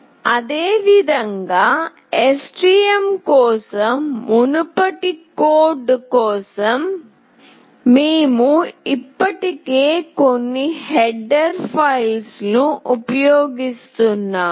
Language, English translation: Telugu, Similarly, as you have already seen that for the previous code for STM, we were using some header files